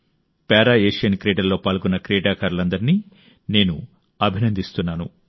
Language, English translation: Telugu, I congratulate all the athletes participating in the Para Asian Games